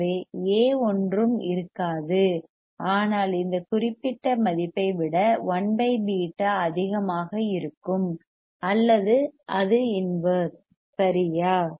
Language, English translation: Tamil, So, A would be nothing, but 1 by beta greater than this particular value or inverse of this right